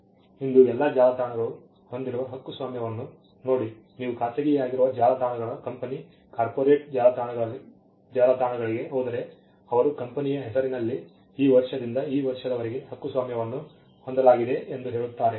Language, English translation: Kannada, See copyright all most websites today have, at if you go to the bottom privately held websites company corporate websites, they will say copyright from this year to this year in the name of the company